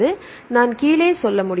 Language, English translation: Tamil, So, I can say down